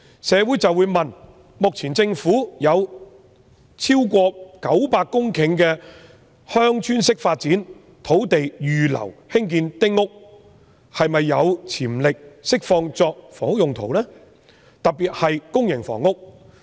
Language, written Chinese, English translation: Cantonese, 市民就會問，政府目前有超過900公頃鄉村式發展土地預留作興建丁屋之用，是否有潛力釋放一些作住宅用途，特別是用以興建公營房屋？, As the Government has reserved more than 900 hectares of Village Type Development sites for building small houses is there any potential to release some of the sites for building residential property particularly public housing?